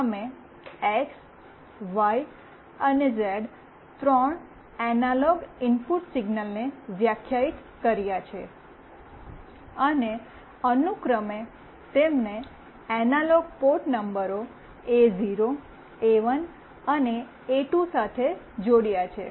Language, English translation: Gujarati, We defined three analog input signals x, y, z and connected them to analog port numbers A0, A1 and A2 respectively